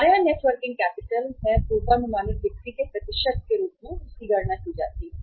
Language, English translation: Hindi, Net working capital here we have calculated as the percentage of the forecasted sales